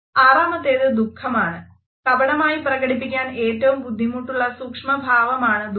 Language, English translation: Malayalam, Number 6 is sadness; now, sadness is the hardest to micro expression to fake